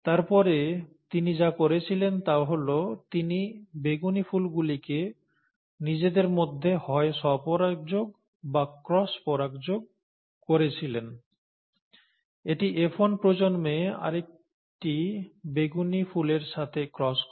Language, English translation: Bengali, And then what he did was, he either self pollinated or cross pollinated the purple flowers amongst themselves, okay, this cross with another purple flower of the F1 generation itself